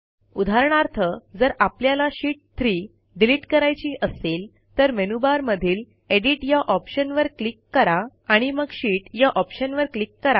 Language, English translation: Marathi, For example if we want to delete Sheet 3 from the list, click on the Edit option in the menu bar and then click on the Sheet option